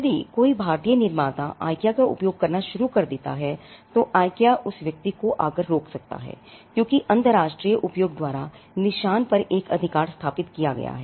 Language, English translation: Hindi, If someone an Indian manufacturer starts using IKEA, IKEA could still come and stop that person, because there a right to the mark is established by use international use